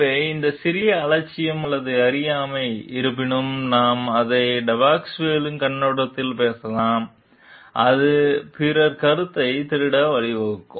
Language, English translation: Tamil, So, this small negligence or ignorance; however, we may talk it from the Depasquale perspective may lead it to it after plagiarism